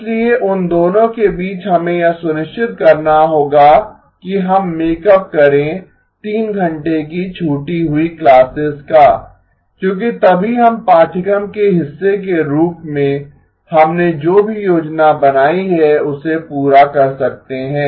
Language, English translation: Hindi, So between those two, we would have to make sure we make up 3 hours of missed classes because only then we can finish whatever we have planned as part of the course